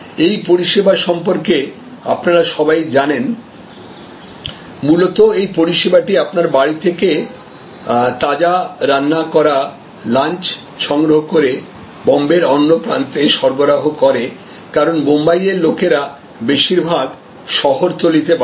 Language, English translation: Bengali, All of you know about this service, basically this service collects freshly cooked lunch from your home and delivers to the other end of Bombay, so people in Bombay mostly live in the suburbs